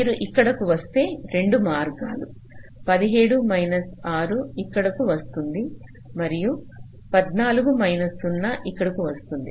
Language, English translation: Telugu, if you come here, there are two paths: seventeen minus six coming here and fourteen minus zero, coming here, so it will be eleven